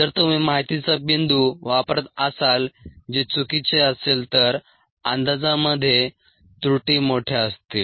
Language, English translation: Marathi, if you are using the data point which happen to be incorrect, then the errors would be large in the estimates